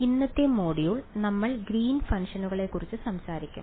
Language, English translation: Malayalam, So, today’s module, we will talk about Greens functions